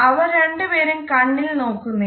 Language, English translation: Malayalam, Neither one of them really makes eye contact